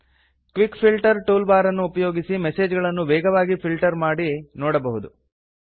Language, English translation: Kannada, You can use the Quick Filter toolbar to quickly filter and view messages